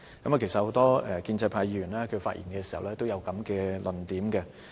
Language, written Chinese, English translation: Cantonese, 其實，很多建制派議員發言時都有這類論點。, Actually many Members of the pro - establishment camp advanced a similar view in their speeches